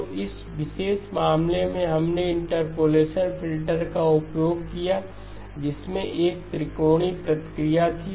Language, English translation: Hindi, So in this particular case we used an interpolation filter which had a triangular response